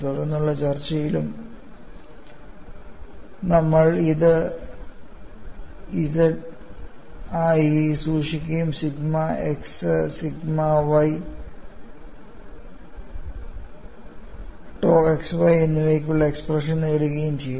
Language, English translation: Malayalam, aAlso we will keep this as capital ZZ and get the expression for sigma x sigma y dou xy